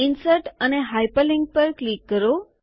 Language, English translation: Gujarati, Click on Insert and Hyperlink